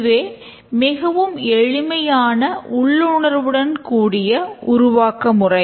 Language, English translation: Tamil, It's the simplest and the most intuitive development style